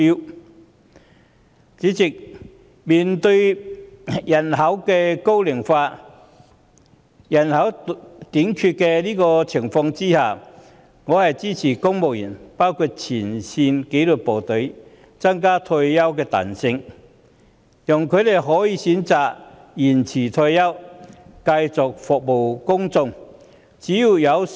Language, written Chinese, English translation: Cantonese, 代理主席，面對人口老齡化及多種職位出現人手短缺的情況下，我支持增加公務員退休年齡限制的彈性，讓他們可以選擇延遲退休，繼續服務市民。, Deputy President in the face of an ageing population and the manpower shortage problems with various posts I support the proposal of enhancing the flexibility of the retirement age of civil servants including frontline disciplined officers so that they can choose to extend their retirement age and continue to serve the public